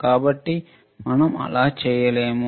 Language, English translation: Telugu, So, we cannot do that